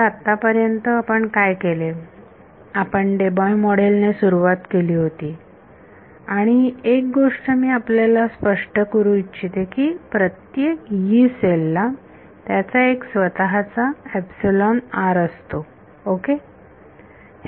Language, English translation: Marathi, So, so far what we did was, we started with the Debye model and one thing I want to clarify is that every Yee cell has its own value of epsilon r ok